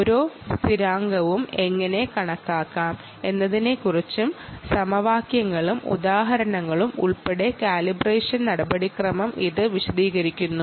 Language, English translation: Malayalam, it details the calibration procedure, including equations and examples on how to calculate each constant